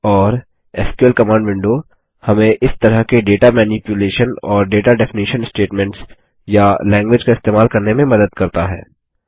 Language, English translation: Hindi, And the SQL command window helps us to use such data manipulation and data definition statements or language